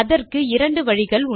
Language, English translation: Tamil, There are 2 ways to do this